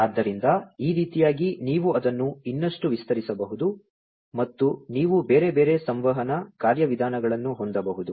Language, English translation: Kannada, So, like this you know you could even extend it even further and you could have different other communication, mechanisms in place